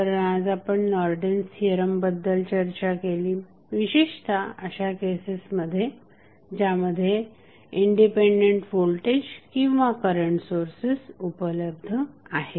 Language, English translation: Marathi, So, in the session we discussed about the Norton's theorem, a particularly in those cases where the independent voltage or current sources available